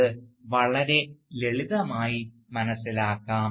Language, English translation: Malayalam, Right, that is very simply understood